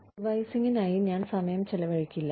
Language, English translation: Malayalam, I will not be spending any time on revising